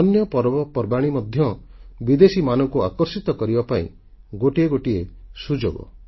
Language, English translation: Odia, Other festivals of our country too, provide an opportunity to attract foreign visitors